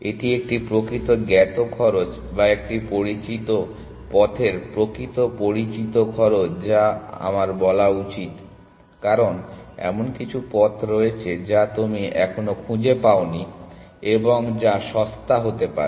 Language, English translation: Bengali, So, it is a actual known cost or actual known cost of a known path I should say because, there is some path that you have not yet explored and which could be cheaper